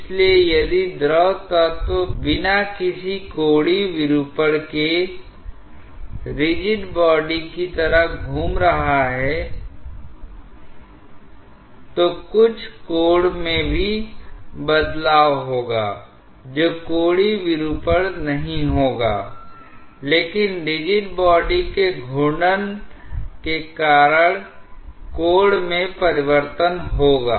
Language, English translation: Hindi, So, if the fluid element is rotating like a rigid body without any angular deformation, then there also will be a change in some angle that will not be an angular deformation, but the change in angle because of rigid body rotation